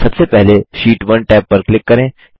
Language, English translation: Hindi, First, click on the Sheet 1 tab